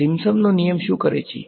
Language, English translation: Gujarati, Simpson’s rule what did it do